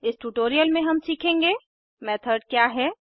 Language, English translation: Hindi, In this tutorial we will learn What is a method